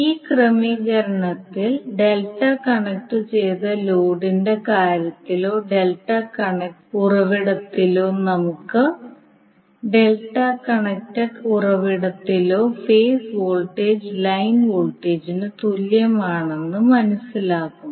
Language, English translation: Malayalam, So here if you this particular arrangement, you will come to know that in case of delta connected load or in case of delta connect source the phase voltage will be equal to line voltage